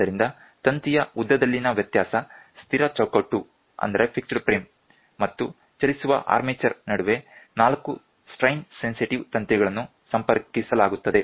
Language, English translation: Kannada, So, variation in the length of the wire, in between the fixed frame and the moving armature, four strain sensitive wires are connected